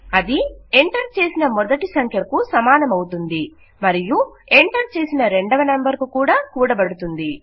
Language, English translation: Telugu, Thats going to be equal to the first number which was entered and added to the second number which was entered